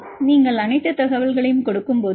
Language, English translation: Tamil, So, we give all the information